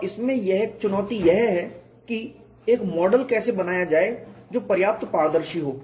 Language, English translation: Hindi, And one of the challengers in this is how to make a model which is transparent enough